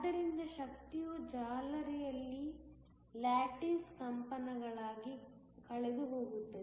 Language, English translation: Kannada, So, that the energy is lost in the lattice as lattice vibrations